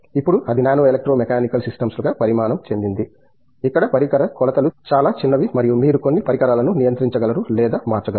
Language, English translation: Telugu, Now, that is evolved into nano electro mechanical systems, where the device dimensions are very small and you will be able to control or switch certain devices